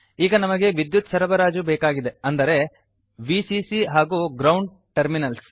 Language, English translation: Kannada, Now we need a power supply i.e.Vcc and Ground terminals